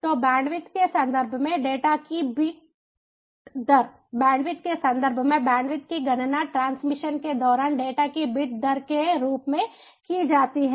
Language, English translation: Hindi, so, in terms of the bandwidth, the bit rate of the data sorry, in terms of the bandwidth bandwidth is calculated as the bit rate of data during transmission